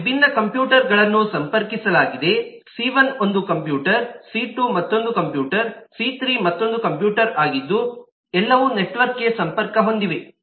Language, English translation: Kannada, c1 is one computer, c2 is another computer, c3 is another computer which are all connected to the network